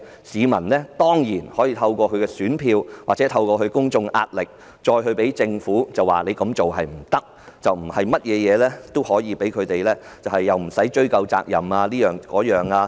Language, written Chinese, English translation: Cantonese, 市民當然可以透過選票或公眾壓力，向政府指出不能如此行事，不能對任何事也表示無須追究責任。, People can definitely point out to the Government through votes or public pressure that it cannot act in such a manner and say that there is no need to pursue responsibility for any matter